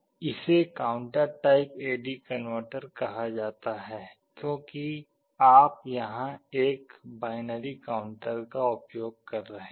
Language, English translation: Hindi, This is called counter type AD converter because you are using a binary counter here